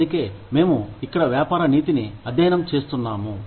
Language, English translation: Telugu, That is why, we are studying business ethics here